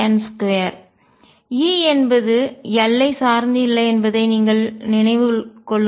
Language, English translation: Tamil, Keep in mind that E does not depend on l